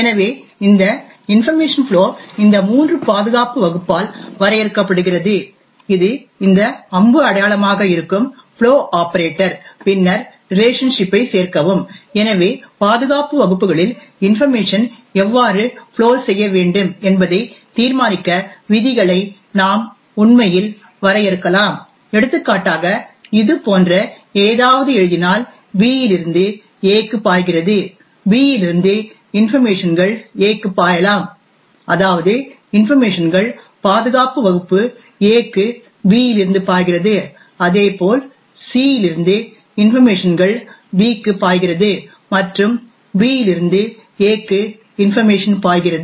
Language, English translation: Tamil, So this information flow is defined by this triple security class, flow operator which is this arrow sign and then join relationship, so we can actually define rules to decide how information should flow across the security classes, for example if we write something like this B flows to A, it would mean that information from B can flow to A that is information from B flow to this security class A, similarly we could also write something like this where information from C flows to B and information from B flows to A